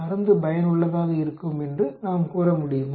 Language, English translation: Tamil, So, can we say this drug it be effective